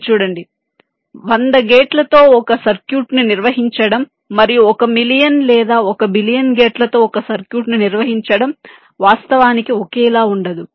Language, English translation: Telugu, you see, ah, handling a circuit with hundred gates and handling a circuit with one million or one billion gates is, of course, not the same